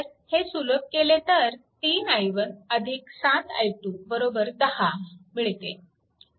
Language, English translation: Marathi, You will get i 1 is equal to 2